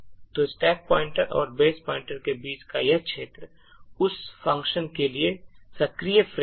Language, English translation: Hindi, So this region between the stack pointer and the base pointer is the active frame for that particular function